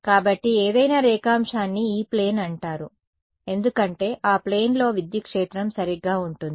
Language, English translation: Telugu, So, any longitude is considered is called the E plane because the electric field is sort of in that plane so right